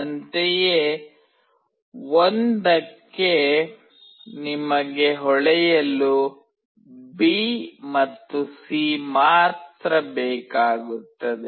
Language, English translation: Kannada, Similarly, for 1, you only need B and C to glow